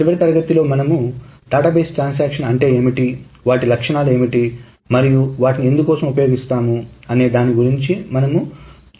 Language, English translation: Telugu, Last time we saw an introduction to what the database transactions are, what are their properties and what they are used for